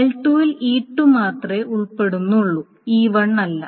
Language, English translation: Malayalam, And similarly, L2 concerns itself with only E2 and not E1